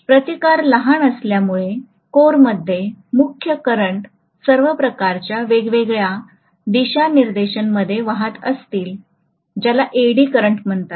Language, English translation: Marathi, Because the resistance is a small it will just have all sorts of different directions of current flowing all over the core which is called as the Eddy current